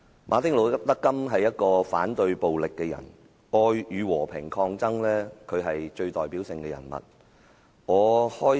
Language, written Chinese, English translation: Cantonese, 馬丁.路德.金是一個反對暴力的人，談到愛與和平抗爭，他是最有代表性的人物。, Martin Luther KING Jr was a person who opposed violence being the most typical character when love and peaceful struggle are concerned